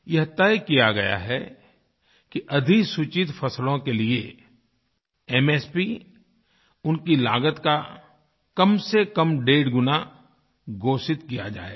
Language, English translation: Hindi, It has been decided that the MSP of notified crops will be fixed at least one and a half times of their cost